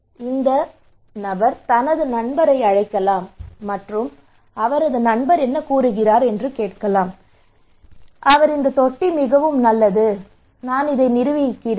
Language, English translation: Tamil, So this person may call his friend, and his friend says okay this tank is really good I installed this one okay